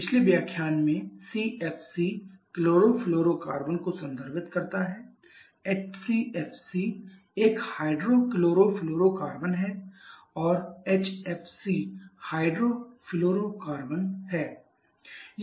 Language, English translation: Hindi, In the previous lecture has CFC refers to chlorofluorocarbon HCFC is a hydro chlorofluorocarbon and HFC is the hydro fluorocarbon